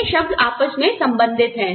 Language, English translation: Hindi, These terms are inter related